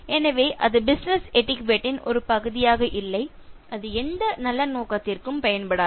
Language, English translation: Tamil, So that is not part of business etiquette and it is not going to serve any good purpose